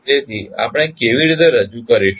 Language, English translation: Gujarati, So, how we will represent